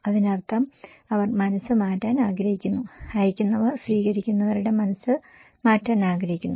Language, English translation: Malayalam, That means they want to change the mind, senders wants to change the mind of receiver’s